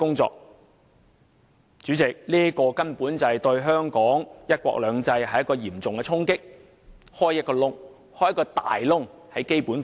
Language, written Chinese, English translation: Cantonese, 主席，這可說是對香港"一國兩制"的嚴重衝擊，並在《基本法》打開了一個大缺口。, President this has not only dealt a serious blow to Hong Kongs one country two systems but has also created a large gap in the Basic Law